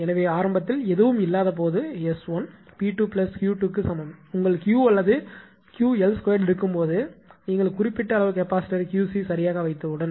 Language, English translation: Tamil, So, initially S 1 is equal to when nothing is there is equal to P square plus Q square; when your Q or your Q l square rather right but as soon as you put some amount of capacitor Q c right